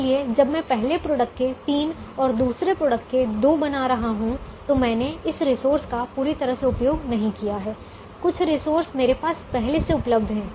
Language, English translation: Hindi, so when i am making three of the first product and two of the second product, i have not utilized this resource fully